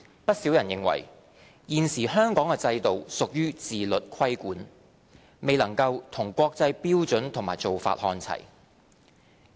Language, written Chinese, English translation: Cantonese, 不少人認為，現時香港的制度屬於自律規管，未能與國際標準和做法看齊。, Hong Kongs present regime is considered by many as a self - regulatory regime which is not on a par with prevailing international standards and practices